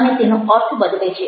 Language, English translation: Gujarati, it is the meaning